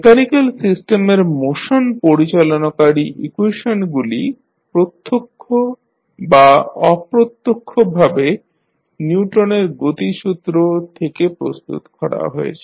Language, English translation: Bengali, The equations governing the motion of mechanical systems are directly or indirectly formulated from the Newton’s law of motion